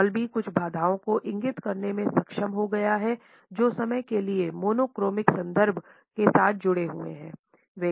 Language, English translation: Hindi, Hall has also been able to point out certain constraints which are associated in his opinion with the monochronic reference for time